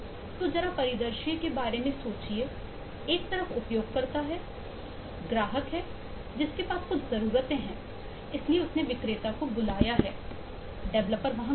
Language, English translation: Hindi, so just think of the scenario there is on one side is the user, the customer, who has some needs, so would, has called the vendor